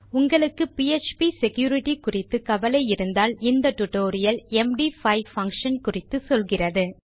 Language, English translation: Tamil, If your concerned about php security, then this tutorial will take you through the MD5 function